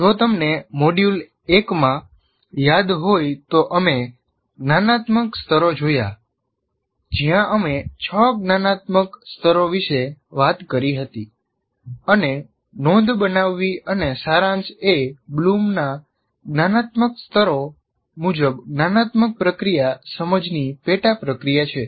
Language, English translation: Gujarati, And if you recall, in module one we looked at the cognitive activities, cognitive levels where we talked about six cognitive levels and note making and summarization is a sub process of the cognitive process, understand as per Bloom cognitive activity